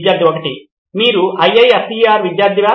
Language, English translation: Telugu, Are you a student of IISER